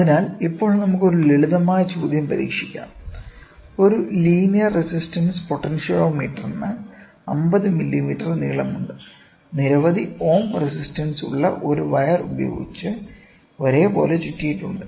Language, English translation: Malayalam, So, now let us try one more simple question; a linear resistance potentiometer is 50 millimeter long and is uniformly wound with a wire having a resistance of so many ohms